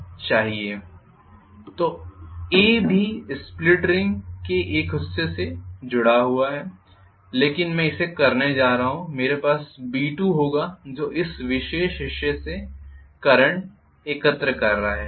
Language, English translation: Hindi, So A is still connected to A part of the split ring but I am going to have to this I will have brush B2 is collecting current from this particular portion